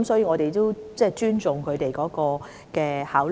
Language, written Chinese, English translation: Cantonese, 我們尊重當局的考慮。, We respect the considerations of the authorities